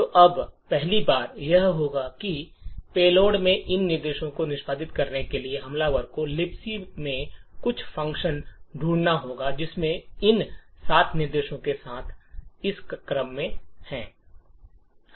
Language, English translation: Hindi, So, now the first thing the attacker would do in order to execute these instructions in the payload is to find some function in or the libc which has all of these 7 instructions in this order